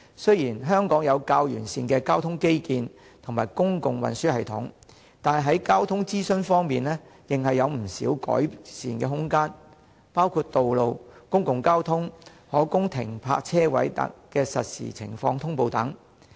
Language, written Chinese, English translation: Cantonese, 雖然香港有較完善的交通基建和公共運輸系統，但在交通資訊方面仍有不少改善的空間，包括道路、公共交通、可供停泊車位的實時情況等。, The transport infrastructure and public transport system in Hong Kong are relatively comprehensive but there is still much room for improvement in the provision of transport information including the real - time status of roads public transport and available parking spaces